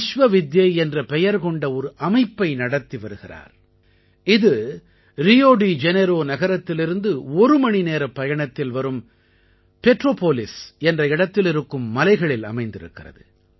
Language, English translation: Tamil, He runs an institution named Vishwavidya, situated in the hills of Petropolis, an hour's distance from Rio De Janeiro